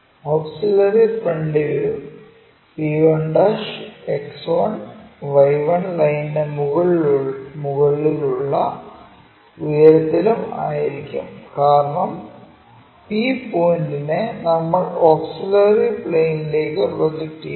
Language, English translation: Malayalam, The auxiliary front view p1' will also be at a height m above the X1Y1 line, because the point p we are projecting it onto auxiliary vertical plane